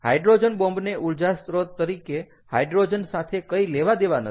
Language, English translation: Gujarati, ok, hydrogen bomb has nothing to do with hydrogen as energy source